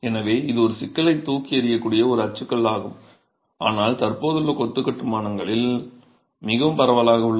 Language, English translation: Tamil, So, this is a typology that can throw up a problem, but is very prevalent in existing masonry constructions